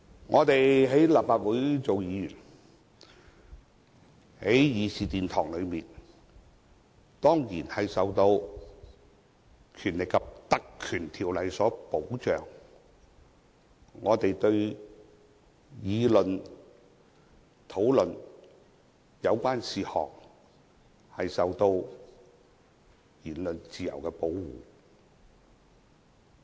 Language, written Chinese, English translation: Cantonese, 我們在立法會當議員，在議事堂上當然受到《立法會條例》的保障，我們議事時的言論自由受到保護。, As Members of the Legislative Council we are certainly accorded protection in the Chamber under the Legislative Council Ordinance and our freedom of speech is protected when we engage in Council business